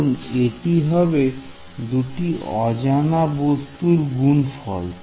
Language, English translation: Bengali, Because it will be product of 2 unknowns then right